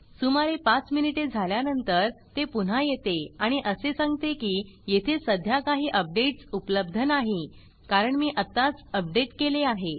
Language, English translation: Marathi, After of about five minutes it comes back and says that there are currently no updates available because I just updated